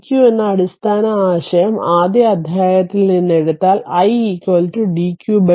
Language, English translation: Malayalam, So, dq as we know from the very first chapter the basic concept that i is equal to dq by dt